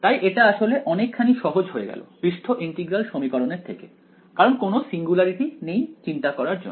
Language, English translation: Bengali, So, this turned out to be so much more simpler than the surface integral equations because no singularities to worry about really about